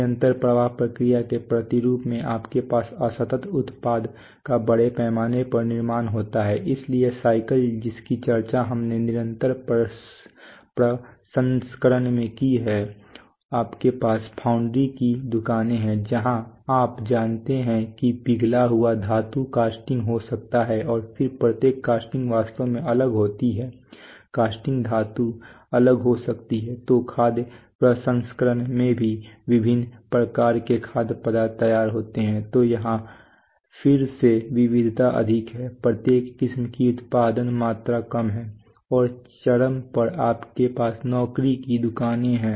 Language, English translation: Hindi, The counterpart of continuous flow processes there you have mass manufacturing of discrete product so appliances bicycles as we have discussed in continuous processing you have foundry shops where you know molten metal gets becomes casting and then casting each casting is actually different casting metals could be different, so food processing, so various kinds of various kinds of foods get prepared so here again variety is more, each variety production quantity is less and at the extreme you have job shops